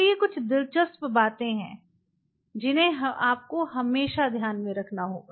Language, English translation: Hindi, So, these are some of the interesting details which you always have to keep in mind